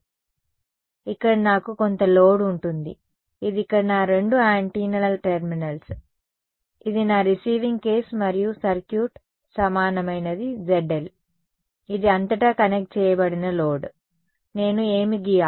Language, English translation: Telugu, So, here I will have some load right, this is a load over here this is my two antennas terminals this is my receiving case and the circuit equivalent will become ZL is the load across which have connected it what you think will happen over here across from here